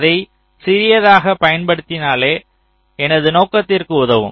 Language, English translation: Tamil, we will try to use it as small as it serves my purpose